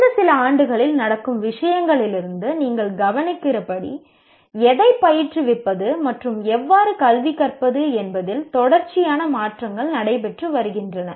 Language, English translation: Tamil, And as you would notice from the things happening in the last few years, there are continuous changes that are taking place with regard to what to educate and how to educate